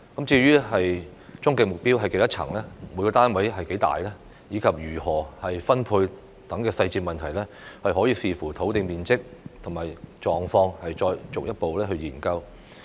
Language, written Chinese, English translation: Cantonese, 至於終極目標是多少層、每個單位面積多大，以及如何分配等細節問題，可以視乎土地面積及狀況再進一步研究。, As regards the details such as the number of floors as our ultimate target the size of each unit and the method of allocation we can conduct a further study having regard to the size and condition of the site